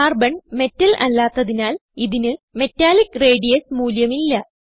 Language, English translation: Malayalam, Since Carbon is a non metal it does not have Metallic radius value